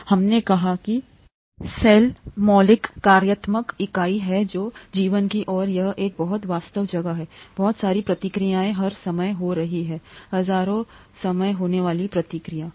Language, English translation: Hindi, We said, cell is the fundamental functional unit of life and it’s a very busy place, a lot of reactions happening all the time, thousands of reactions happening all the time